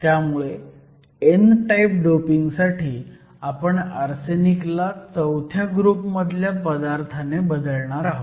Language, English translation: Marathi, So to form n type, we are going to replace arsenic by group VI